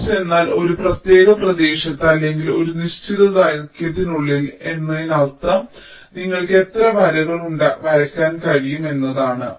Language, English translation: Malayalam, pitch means in a particular ah area or within a particular length means how many lines you can draw